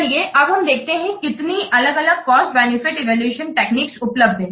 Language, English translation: Hindi, So, today we will discuss the different cost benefit evaluation techniques